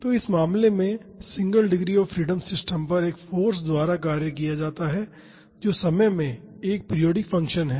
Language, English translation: Hindi, So, in this case the single degree of freedom system is acted upon by a force which is a periodic function in time